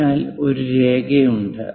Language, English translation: Malayalam, So, there is a line